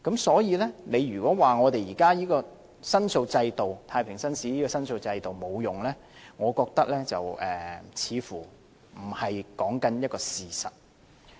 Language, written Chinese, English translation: Cantonese, 所以，如果說現有向太平紳士申訴的制度沒有用，我覺得似乎不是一個事實。, Hence when people say that the existing JP system is useless I do not think that they are reflecting the truth